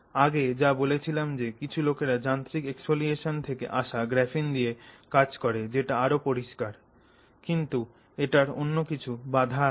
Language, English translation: Bengali, As I said you know some people work with the graphene coming out of mechanical exfoliation which is cleaner but has some other constraints